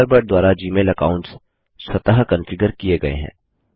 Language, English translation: Hindi, Gmail accounts are automatically configured by Thunderbird